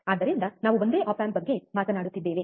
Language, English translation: Kannada, So, we are talking about just a single op amp